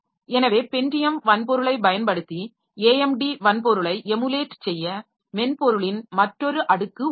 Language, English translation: Tamil, So, so there is another layer of software that will be emulating the AMD hardware by using the Pentium hardware